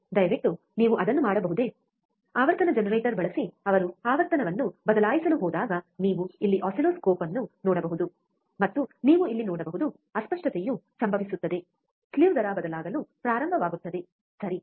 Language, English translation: Kannada, Can you please do that yeah so, when he is going to change the frequency using frequency generator you can see the oscilloscope here, and you can see here the distortion will start occurring slew rate will start changing, right